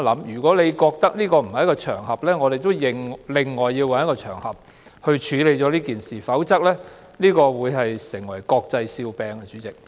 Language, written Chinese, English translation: Cantonese, 如果你覺得這不是處理這件事的場合，我們要另找一個場合處理，否則這會成為國際笑柄。, If you do not deem it appropriate to handle this matter on this occasion we will have to find another occasion to deal with it otherwise it will become an international laughing stock